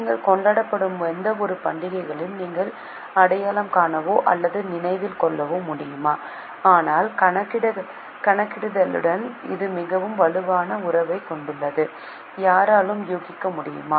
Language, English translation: Tamil, Are you able to recognize or remember any of festivals which you would be celebrating but it has a very strong relationship with accounting